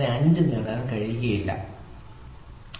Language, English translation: Malayalam, 95 you can get only 6